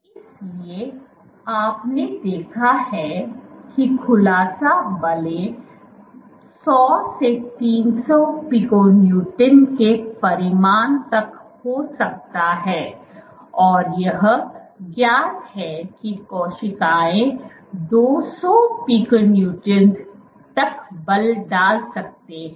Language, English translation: Hindi, So, you have seen that unfolding forces, have magnitude order let us say 100 to 300 pico Newtons, and it is known that cells can exert forces order 200 pico Newtons